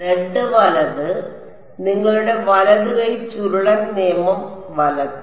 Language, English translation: Malayalam, z right your right hand curl rule right